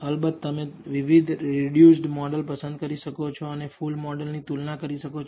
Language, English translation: Gujarati, Of course, you can choose different reduced models and compare with the full model